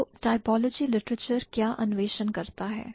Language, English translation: Hindi, So, what does typology literature explore